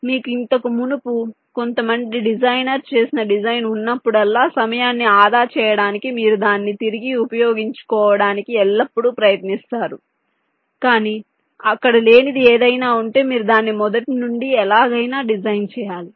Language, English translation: Telugu, so whenever you have a design which was already done by some earlier designer, you will always try to reuse it in order to safe time, ok, but there are something which was not there, to will have to design it from scratch anyway